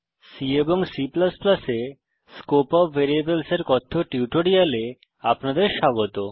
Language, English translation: Bengali, Welcome to the spoken tutorial on Scope of variables in C and C++